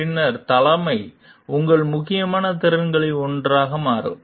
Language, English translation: Tamil, Then leadership becomes one of your important competencies